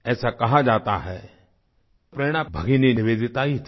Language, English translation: Hindi, It is said that Bhagini Nivedita was the inspiration